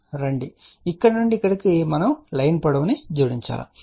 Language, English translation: Telugu, So, from here to here we have to add the line length